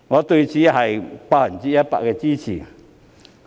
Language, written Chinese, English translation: Cantonese, 對此，我當然百分百支持。, This very proposal has my full support of course